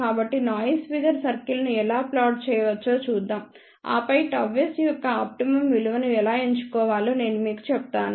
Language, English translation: Telugu, So, let us look at how we can plot the noise figure circle and then I will tell you how to choose the optimum value of gamma s